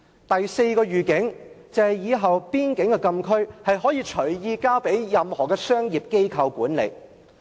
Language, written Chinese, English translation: Cantonese, 第四個預警，就是以後邊境禁區，可以隨意交給任何商業機構管理。, The fourth heads - up in future the administration of frontier closed areas can easily be handed over to any commercial enterprise